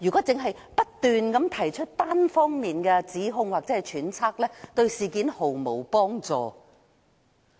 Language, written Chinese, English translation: Cantonese, 只不斷提出單方面的指控或揣測，對事件毫無幫助"。, Just making one - sided allegations or speculation will not help resolve the issue in any way